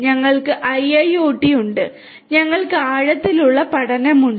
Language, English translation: Malayalam, We have IIoT, we have IIoT and we have deep learning